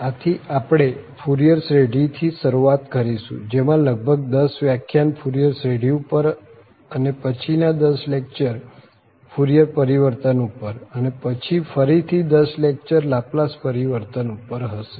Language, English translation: Gujarati, So, we will start with the Fourier series there will be about 10 lectures on Fourier series and followed by the 10 lectures on Fourier transform and then about 10 lectures again on Laplace transform